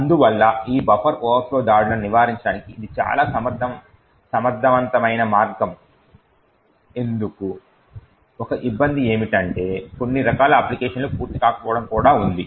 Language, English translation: Telugu, Therefore, why this is a very efficient way to prevent this buffer overflow attacks, there is also, a downside present the certain types of applications do not complete